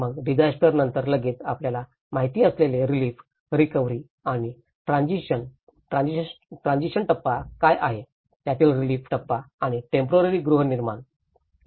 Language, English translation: Marathi, Then immediately after the disaster, the relief, recovery and transition you know, what is the transition phase, the relief phase of it and the temporary housing